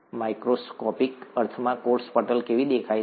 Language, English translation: Gujarati, How does the cell membrane look like, in a microscopic sense